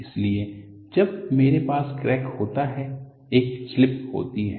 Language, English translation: Hindi, So, when I have a crack, I have a slip that takes place